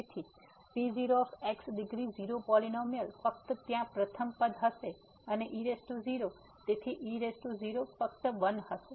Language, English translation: Gujarati, So, the the degree 0 polynomial only the first term will be present there and power 0, so power 0 will be just 1